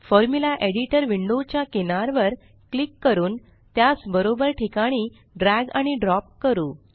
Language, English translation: Marathi, Let us click on the Formula Editor border and drag and drop to the right to make it float